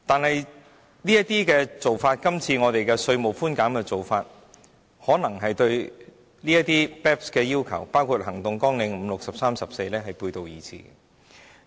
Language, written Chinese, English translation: Cantonese, 然而，今次稅務寬減的做法可能對 BEPS 的要求，包括第5項、第6項、第13項及第14項行動計劃背道而馳。, However the proposed tax concessions may contravene some of the BEPS requirements including Action 5 Action 6 Action 13 and Action 14